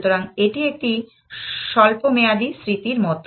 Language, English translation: Bengali, So, it is, this is like a short term memory